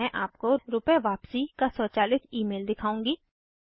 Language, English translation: Hindi, I will now show an Automated Email of refund